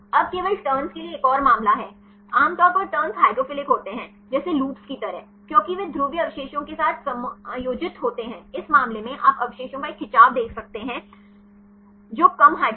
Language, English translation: Hindi, Now, there is another case just for the turns, turns are generally hydrophilic like then, like loops because they accommodate with the polar residues right in this case you can see a stretch of residues which are less hydrophobic